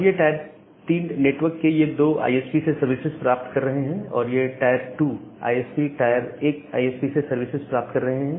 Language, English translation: Hindi, Now, this tier 3 networks they are getting services from some 2 ISPs, now the tier 2 ISPs they are getting services from the tier one ISPs